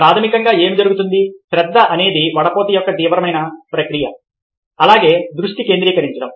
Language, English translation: Telugu, so what basically happens is that, ah, attention is a process, a intense process of filtration, of focusing as well